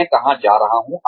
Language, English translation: Hindi, Where am I going